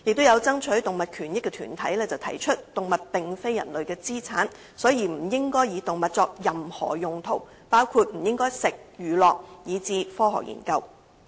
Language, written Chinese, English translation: Cantonese, 有爭取動物權益的團體提出動物並非人類的資產，所以不應該以動物作任何用途，包括食用、娛樂以至科學研究。, As pointed out by animal rights groups animals are not assets of human beings and thus should not be used for any such purpose as consumption entertainment or scientific research